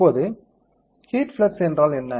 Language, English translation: Tamil, Now, what is the heat flux